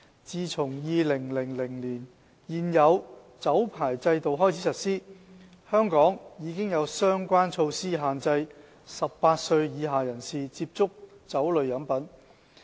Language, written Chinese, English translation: Cantonese, 自從2000年開始實施現有的酒牌制度起，香港已有相關措施限制18歲以下人士接觸酒類飲品。, Since the implementation of the current liquor licensing system in 2000 relevant measures have been put in place in Hong Kong to restrict persons under 18 years of age to access liquor drinks . Under the Dutiable Commodities Liquor Regulations Cap